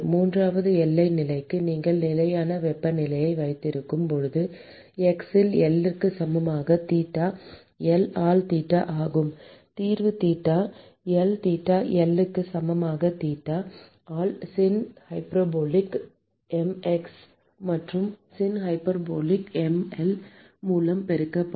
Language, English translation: Tamil, And for the third boundary condition, where you have a fixed temperature that is theta at x equal to L is theta L, the solution will be theta by theta b equal to theta L by theta b multiplied by Sin hyperbolic m x plus Sin hyperbolic m L minus x divided by Sinh mL